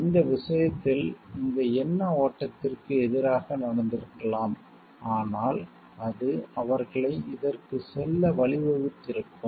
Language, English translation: Tamil, So, in this case against these flow of thought could have been happened, but which would have led them to go for this